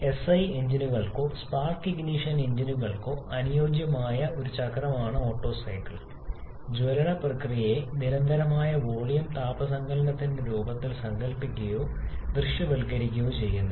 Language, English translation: Malayalam, Now, we have seen that the Otto cycle which is a cycle suitable for SI engines or Spark ignition engines that conceptualizes or visualises the combustion process in the form of constant volume heat addition